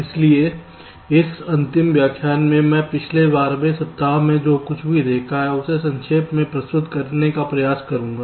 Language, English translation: Hindi, so here in this last lecture i will try to summarize whatever we have seen over the last twelfth weeks